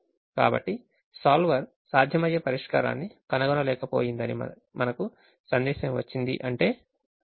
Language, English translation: Telugu, so when we get a message solver could not find a feasible solution, it means the given problem is infeasible